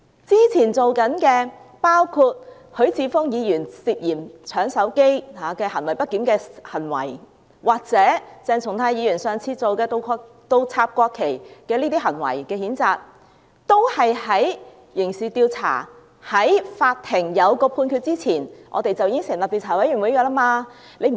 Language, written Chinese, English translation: Cantonese, 之前做過的許智峯議員涉嫌搶手機行為不檢的行為，或鄭松泰議員上次倒插國旗的行為的譴責，都是在刑事調查及法庭作出判決前已經成立調查委員會。, In the previous case of censuring Mr HUI Chi - fung for his misbehaviour as he was suspected of snatching a mobile phone from another person or the case of censuring Dr CHENG Chung - tai for his behaviour of inverting the mock - ups of the national flag an investigation committee was set up before the criminal investigation came to an end and a judgment was made by the court